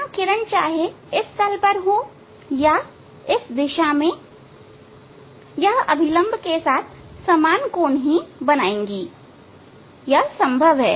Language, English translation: Hindi, This ray whether it will be on this plane or it will be in this direction making the same angle with the normal it is possible